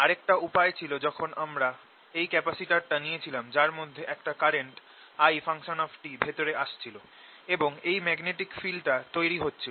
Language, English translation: Bengali, the other way was we took this capacitor in which this current i t was coming in and there was this magnetic field being produced